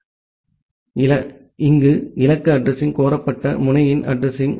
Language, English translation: Tamil, So, this destination address is the address of the solicitated node